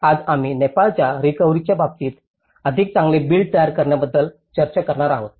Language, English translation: Marathi, Today, we are going to discuss about build back better in the case of Nepal recovery